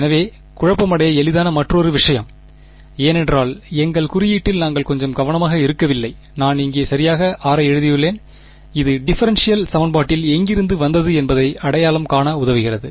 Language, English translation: Tamil, So, another thing that is easy to get confused by because we were being a little not very careful with our notation, I have simply written r over here right, this r lets identify where it came from in the differential equation ok